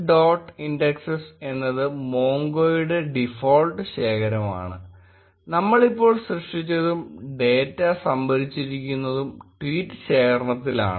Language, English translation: Malayalam, indexes is a default collection by mongo and tweets collection is the one which we have just created and it has data stored